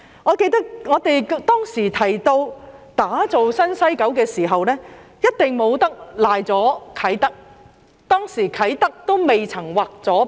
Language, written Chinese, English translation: Cantonese, 我記得，當時我們提到打造新西九，一定不能遺漏了啟德，而當時啟德仍未劃入九龍西。, I remember that Kai Tak was never missed out when we talked about Building a New West Kowloon . Back then Kai Tak has not yet become a part of Kowloon West